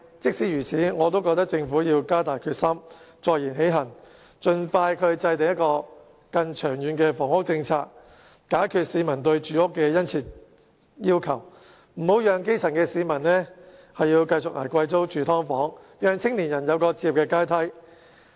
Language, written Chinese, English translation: Cantonese, 儘管如此，我仍覺得政府必須加大決心，坐言起行，盡快制訂更長遠的房屋政策，解決市民對住屋的殷切需求，別讓基層市民繼續捱貴租、住"劏房"，並讓青年人有置業的階梯。, Notwithstanding that I still think that the Government should be more determined to live up to its words and expeditiously formulate a more long - term housing policy to meet the pressing housing demands of members of the public . Something must be done to stop the grass roots from paying high rents and living in subdivided units and to build a housing ladder for the young people